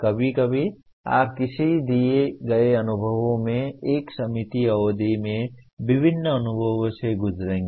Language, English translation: Hindi, Sometimes you in a given experience you will go through various experiences in a limited period